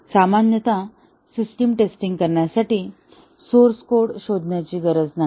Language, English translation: Marathi, Normally, do not have to look through the source code to carry out system testing